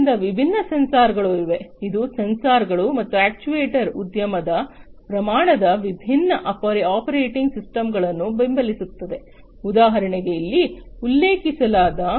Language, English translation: Kannada, So, there are different sensors which would sensors and actuators industry scale which would support different operating systems, such as the ones that are mentioned over here